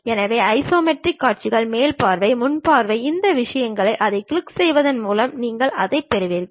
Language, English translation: Tamil, So, the isometric views, top view, front view these things, you will have it by clicking that